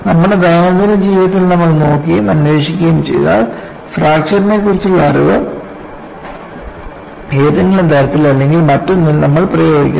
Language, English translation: Malayalam, And if you look at and investigate many of our day to day living, we have applied the knowledge of understanding of fracture in some way or the other